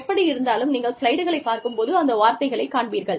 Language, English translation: Tamil, Anyway, when you get the slides, you will see the words et al